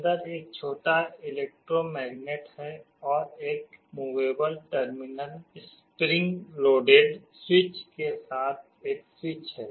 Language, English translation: Hindi, There is a small electromagnet inside and there is a switch with one movable terminal spring loaded switch